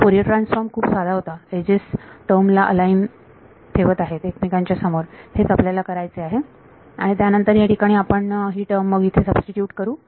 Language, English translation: Marathi, Fourier transform was simple, the edges are keeping the terms aligned next to each other are what we have to do and then we will substitute this into this term over here